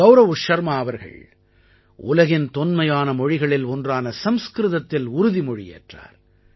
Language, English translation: Tamil, Gaurav Sharma took the Oath of office in one of the ancient languages of the world Sanskrit